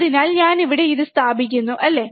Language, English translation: Malayalam, So, I am placing it here, right